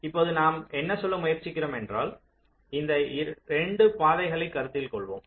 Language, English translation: Tamil, what we are trying to say here is that lets consider these paths